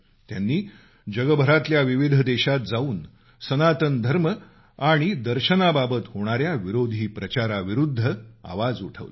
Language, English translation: Marathi, She travelled to various countries and raised her voice against the mischievous propaganda against Sanatan Dharma and ideology